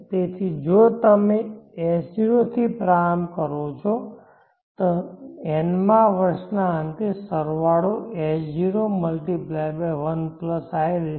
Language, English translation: Gujarati, So if you begin with s0 the end of nth year the sum would have grown to s0 + in